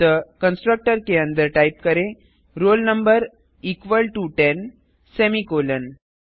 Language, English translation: Hindi, So inside the constructor type roll number equal to ten semicolon